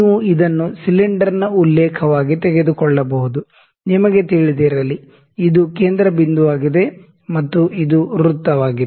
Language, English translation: Kannada, You can take it to as a reference to the cylinder, you know, if this is a centre point